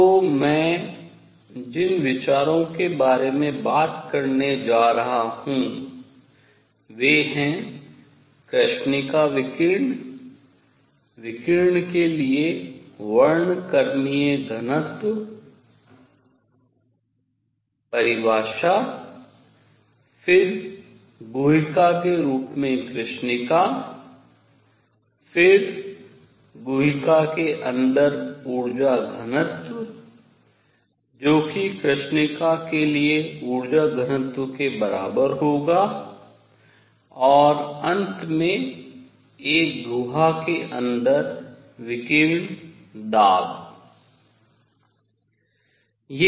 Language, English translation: Hindi, So, what the ideas that I am going to talk about is black body radiation, spectral density for radiation, then black body as a cavity, then energy density inside a cavity which would be equivalent to energy density for a black body, and finally radiation pressure inside a cavity